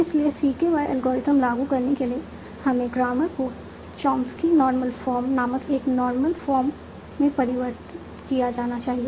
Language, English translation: Hindi, So to apply CKY algorithm, so my grammar must be converted to a normal form called Chomsky Normal Form